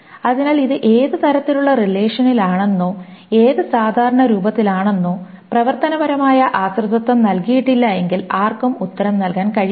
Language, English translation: Malayalam, So one cannot answer whether what type of relation it is in, whether in which normal form it is, unless the functional determines functional dependencies are given